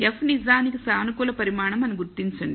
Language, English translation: Telugu, Notice F is actually a positive quantity